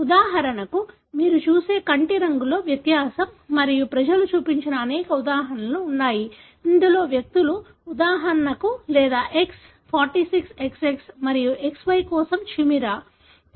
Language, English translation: Telugu, For example, the difference in the eye color that you see and there are many such examples people have shown, wherein individuals are for example, or chimera for X, 46XX and XY